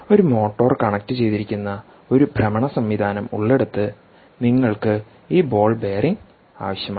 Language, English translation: Malayalam, anywhere where there is a rotating ah system with a motor connected, you will need these ball bearing